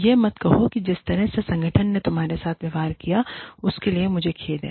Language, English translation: Hindi, Do not say, i am sorry, for the way, the organization has treated you